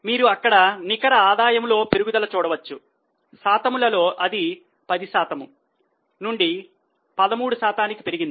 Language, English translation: Telugu, So, you can see there was a rise in net profit as a percentage also it has increased from 10% to 13%